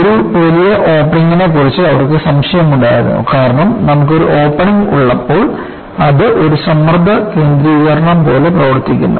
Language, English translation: Malayalam, They were skeptical about a larger opening because when you have opening,it acts like a stress concentration